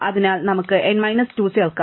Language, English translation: Malayalam, So, we can add n minus 2